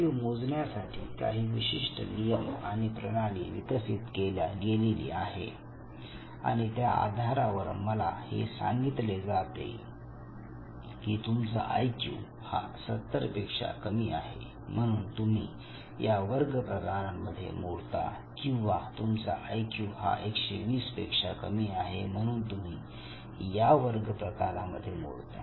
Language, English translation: Marathi, So, my IQ is measured, your IQ was measured, some norm has been develop and based on the norm I am told that see your IQ level is below 70 hence you fall in this category or I am told that your IQ was falls above 120 therefore you fall in the other category